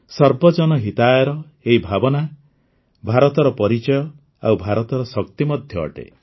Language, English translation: Odia, This spirit of Sarvajan Hitaaya is the hallmark of India as well as the strength of India